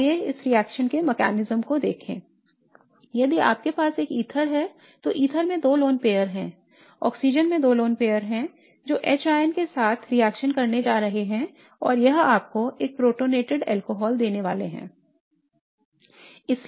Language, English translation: Hindi, Again if you have an ether, the ether has two lone pairs or the oxygen has two lone pairs, it's going to react with H plus and it's going to give you a protonated alcohol